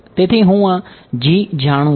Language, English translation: Gujarati, So, I know this